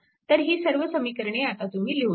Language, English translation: Marathi, So, all these equations now you can write right